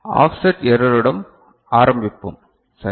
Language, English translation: Tamil, So, we begin with offset error ok